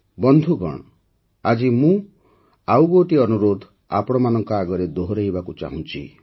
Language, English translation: Odia, Friends, today I would like to reiterate one more request to you, and insistently at that